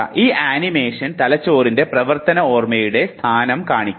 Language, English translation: Malayalam, This animation shows you the location of working memory in the brain